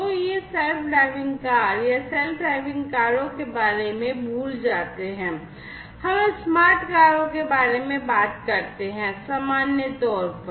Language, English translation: Hindi, So, these self driving cars or forget about the self driving cars you know, if we are talking about the smart car,s in general